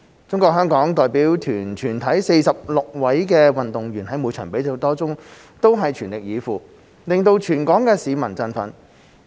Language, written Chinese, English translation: Cantonese, 中國香港代表團全體46位運動員在每場比賽中全力以赴，令全港市民振奮。, All 46 athletes of the Hong Kong China delegation made strenuous efforts in all events which thrilled all people in Hong Kong